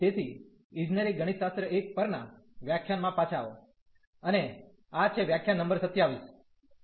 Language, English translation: Gujarati, So, welcome back to the lectures on Engineering Mathematics 1, and this is lecture number 27